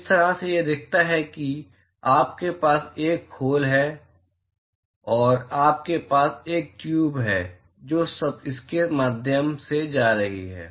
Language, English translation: Hindi, the way it looks like is you have a shell and you have a tube which is going through it